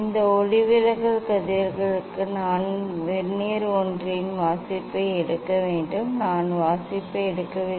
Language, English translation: Tamil, for this refracted rays I have to take the reading of the Vernier one, I am not taking reading